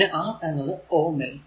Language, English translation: Malayalam, So, R in equation 2